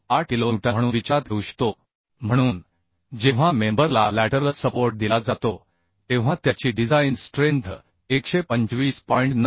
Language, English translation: Marathi, 98 kilo newton So design strength of the member when it is laterally supported is calculated as 125